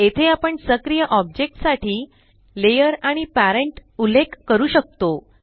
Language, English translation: Marathi, Here we can specify the layer and parent for our active object